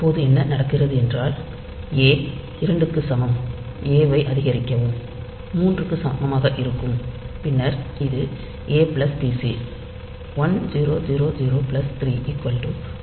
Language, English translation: Tamil, Now, what happens is that a equal to 2, so a equal to 2, so increment a will make a equal to 3, then this is a plus pc the 1000 plus 3 1003